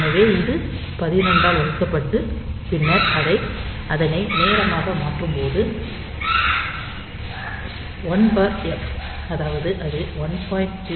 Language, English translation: Tamil, So, this divided by 12 and then if you convert it into time